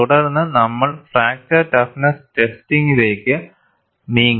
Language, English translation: Malayalam, Then we moved on to fracture toughness testing